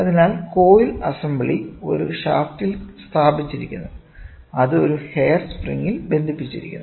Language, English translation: Malayalam, So, the coil assembly is mounted on a shaft which in turn is hinged on a hair spring